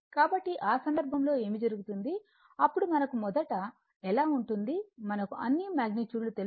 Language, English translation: Telugu, So, in that case what will happen that how then we have first, we have to this all the magnitudes are known right